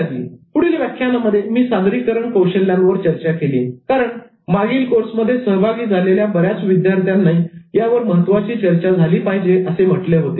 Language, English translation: Marathi, And in the next set of lectures, I focused on presentation skills because many participants wanted this to be a major discussion in the previous course